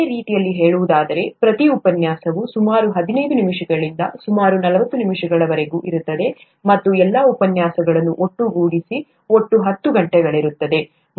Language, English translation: Kannada, In other words, each lecture would be about anywhere between fifteen minutes to about forty minutes and all the lectures put together would be about a total of ten hours